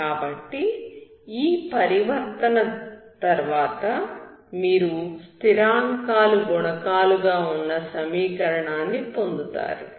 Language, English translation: Telugu, So after transformation you get a equation with constant coefficients, that you know how to solve